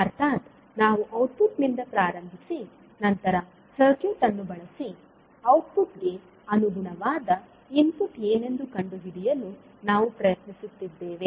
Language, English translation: Kannada, It means that what we are doing, we are starting from output and using the circuit we are trying to find out what would be the corresponding input for the output given to the circuit